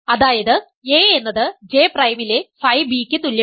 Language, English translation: Malayalam, So, this J is in A, J prime is in B